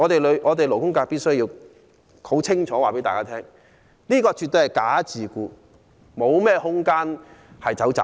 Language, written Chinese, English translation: Cantonese, 勞工界必須清楚告訴大家，這絕對是"假自僱"，沒有商榷的餘地。, The labour sector must hence tell the public loud and clear that this kind of self - employment is absolutely false